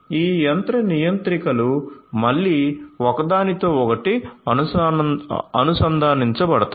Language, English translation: Telugu, So, these machine controllers will again be connected with each other